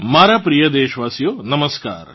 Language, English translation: Gujarati, Hello my dear countrymen Namaskar